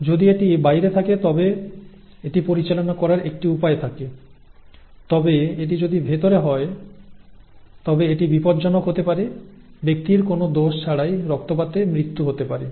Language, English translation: Bengali, If it is outside, there is a way of handling it but if it happens inside then it can be dangerous, the person can bleed to death for no fault